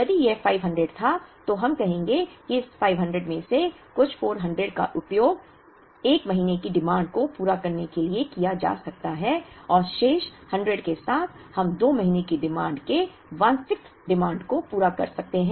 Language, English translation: Hindi, In case this was 500, then we would say that out of this 500 the first, some 400 can be used to meet the 1st month demand and with the balance 100, we could meet 1 6th of the 2nd month’s demand